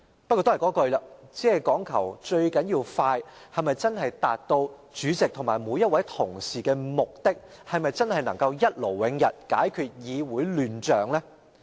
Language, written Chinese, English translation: Cantonese, 不過還是要再重申，只講求速度，能否真正達到主席及每位同事的目的，是否真能一勞永逸，解決議會的亂象呢？, However I still have to reiterate this Can caring only about speed really enable the President and each Honourable colleague to achieve their aims and can they really settle the matter once and for all and resolve the chaos in the legislature?